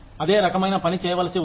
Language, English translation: Telugu, The same kind of work, needs to be done